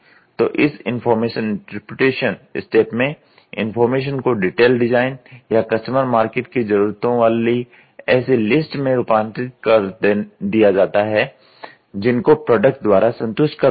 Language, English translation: Hindi, So, the information interpretation, at this step, the information is translated into detail design or detail list of customer market requirement that must be satisfied by the product